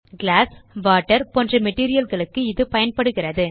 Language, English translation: Tamil, This is used for materials like glass and water